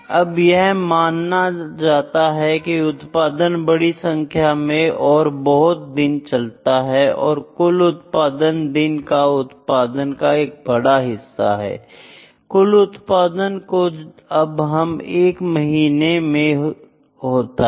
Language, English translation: Hindi, Now, it is assumed that the production runs over a large number of days and that the aggregate production is large, the days production is a part of the aggregate production that is now overall production that happens in a month